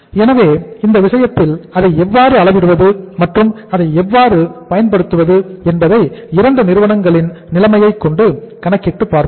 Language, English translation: Tamil, So in this case how to measure it and how to make use of it let us see a situation of the 2 companies